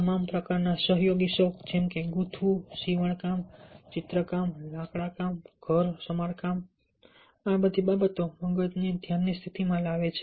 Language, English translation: Gujarati, collaborative hobbies of all kinds like knitting, sewing, drawing, woodworking, home repairing all these things bring the brain into a meditative state